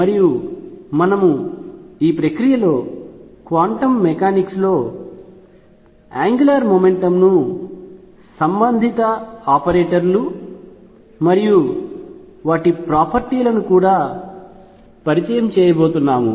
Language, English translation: Telugu, And we want to explore that in the process we are also going to introduce the idea of angular momentum in quantum mechanics the corresponding, the corresponding operators and their properties